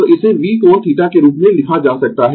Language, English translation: Hindi, So, this can be written as V angle theta